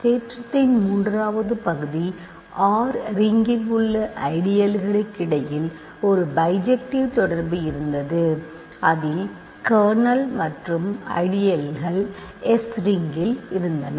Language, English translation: Tamil, And the third part of the theorem was we had a bijective correspondence between ideals in the ring R that contain the kernel and ideals in the ring S ok